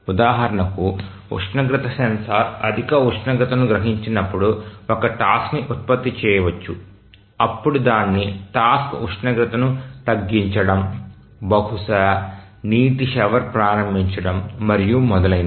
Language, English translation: Telugu, Just to give an example that a task may be generated when the temperature sensor senses a high temperature then the task would be to reduce the temperature, maybe to start a water shower and so on